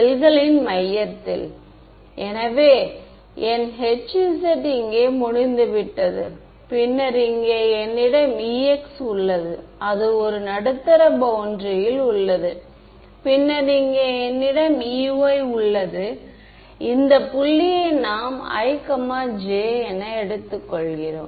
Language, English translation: Tamil, Center of the cells right; so, my H z is over here H z is over here then I have a E x that is at the boundary right at the middle over here, then I have a E y we take this point to be i,j